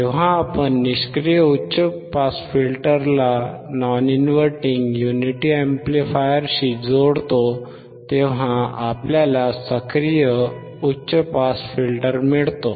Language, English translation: Marathi, When we connect the passive high pass filter to the non inverting unity amplifier, then we get active high pass filter